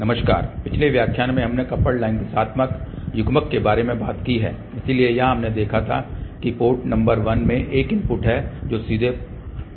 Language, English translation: Hindi, Hello, in the previous lecture we are talked about Coupled Line Directional Coupler, so where we had seen that there is a input from port number 1 which directly goes to the port 2